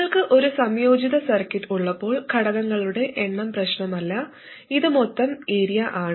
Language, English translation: Malayalam, When you have an integrated circuit, the number of transistors doesn't matter